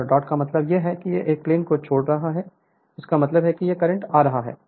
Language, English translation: Hindi, And dot means it is leaving the plane; that means, if it dot means current coming out